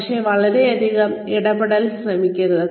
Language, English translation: Malayalam, But, do not try and interfere, too much